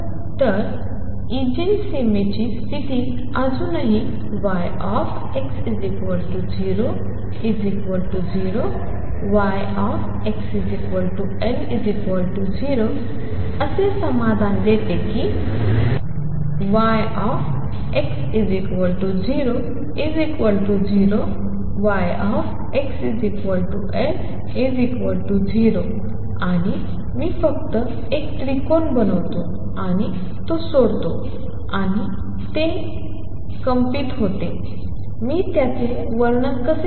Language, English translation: Marathi, So, Eigen the boundary condition is still satisfied that y at x equals to 0 is 0 y at x equals L it is still 0 and I just make a triangle and leave it and it vibrates; how do I describe that